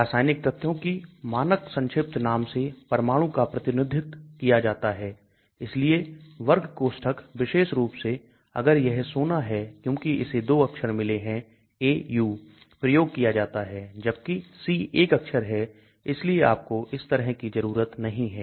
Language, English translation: Hindi, Atoms are represented by the standard abbreviation of the chemical element and so square brackets especially if it is gold because it has got 2 alphabets Au; whereas C is 1 alphabet